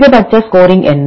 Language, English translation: Tamil, What are the maximum score